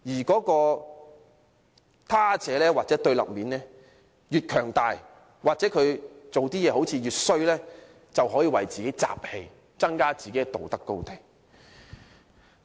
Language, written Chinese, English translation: Cantonese, 這個他者或對立面越強大或做的事情越壞，民粹主義者便可以為自己"集氣"，佔據更高的道德高地。, The stronger or the more evil the Other or the opponent is the easier the populists can drum up support for themselves and seize a higher moral ground